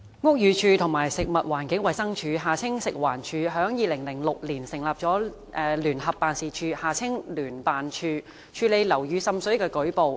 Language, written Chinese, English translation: Cantonese, 屋宇署和食物環境衞生署於2006年成立聯合辦事處，處理樓宇滲水的舉報。, The Buildings Department BD and the Food and Environmental Hygiene Department FEHD set up a Joint Office JO in 2006 to handle reports on water seepage in buildings